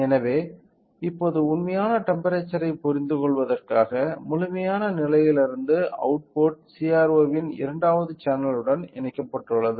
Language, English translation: Tamil, So, in order to understand the actual temperature right now, so, the output from the complete stage, been connected to the second channel of CRO